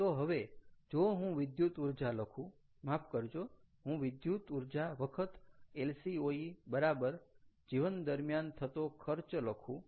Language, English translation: Gujarati, so now, if i write electricity or sorry, electrical energy times, lcoe is equal to lifetime cost, right